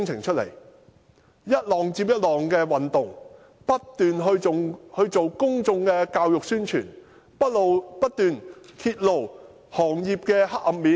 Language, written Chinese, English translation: Cantonese, 我們進行一浪接一浪的運動，不斷進行公眾教育和宣傳，不斷揭露行業的黑暗面。, We conducted campaigns one after another making continuous efforts on public education and publicity and exposing the dark side of the industry